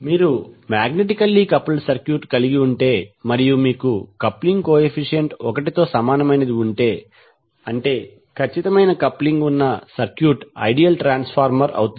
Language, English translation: Telugu, So it means that if you have the magnetically coupled circuit and you have the coupling coefficient equal to one that means the circuit which has perfect coupling will be the ideal transformer